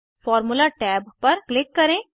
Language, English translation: Hindi, Click on the Formula tab